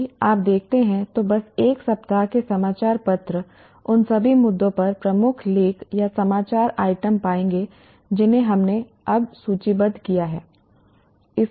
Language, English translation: Hindi, Just one week newspapers if you look at, you will find major articles or news items on all the issues that we have now listed